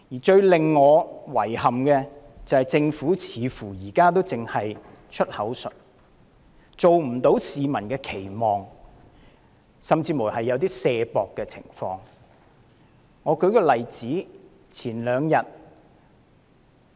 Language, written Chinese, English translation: Cantonese, 最令我感到遺憾的是，政府現時似乎只在"出口術"，表現未符市民的期望，甚至有推卸責任之嫌。, What I find most regrettable is that the performance of the Government fails to live up to the expectation of the public and it seems to be paying lip service only or even shirking its responsibility